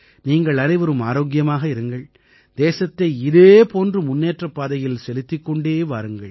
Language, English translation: Tamil, May all of you stay healthy, keep the country moving forward in this manner